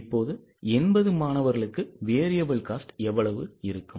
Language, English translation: Tamil, Now how much will be the variable cost for 80 students